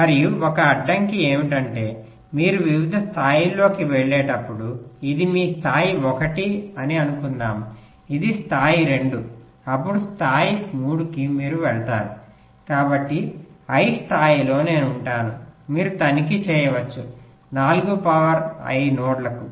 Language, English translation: Telugu, and one constraint is that as you go up in in the various levels suppose this is your level one, this is level two, then level three, you go, so in level i will have you can check four to the power i nodes